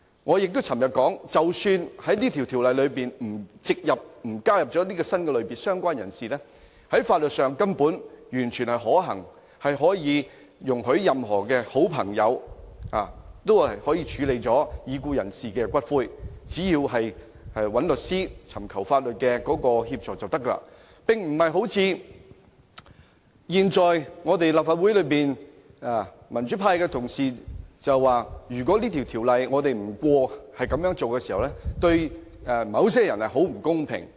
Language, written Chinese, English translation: Cantonese, 我昨天也表示，即使《條例草案》沒有加入"相關人士"這個新類別，有關安排在法律上根本完全可行，可以容許任何好朋友處理已故人士的骨灰，只要聯絡律師和尋求法律協助，便沒有問題，並非如立法會內民主派議員所說，如果這項修正案不獲通過，對某些人很不公平。, As I also said yesterday even if the Bill does not include the additional category of related person the relevant arrangement is still totally feasible in law and will allow any close friend of a diseased person to handle the ashes of the latter . There will be no problem as long as he seeks legal assistance from a lawyer as opposed to the assertion of democratic Members in this Council that a failure to pass this amendment will cause great unfairness to certain people